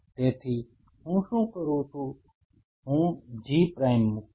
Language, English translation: Gujarati, So, what I do I put a G prime